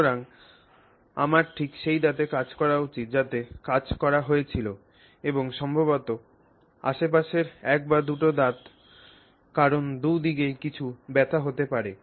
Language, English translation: Bengali, So, I should act on just on the truth that has been worked on and maybe the neighboring one or two teeth because there may be some pain on either side, etc